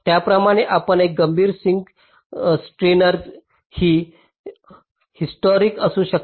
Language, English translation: Marathi, similarly you can have a critical sink, steiner tree, heuristic